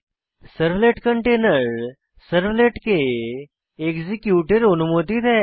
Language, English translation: Bengali, The servlet container allows the servlets to execute inside it